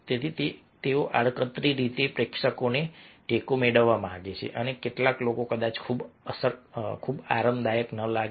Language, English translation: Gujarati, so they want indirectly seek the support of the audience and some of the people might not feel very comfortable